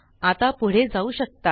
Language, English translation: Marathi, You are good to go